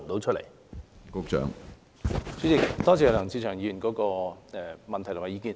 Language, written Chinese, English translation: Cantonese, 主席，多謝梁志祥議員的補充質詢和意見。, President I thank Mr LEUNG Che - cheung for his supplementary question and comments